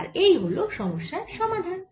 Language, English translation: Bengali, so that is the solution of this problem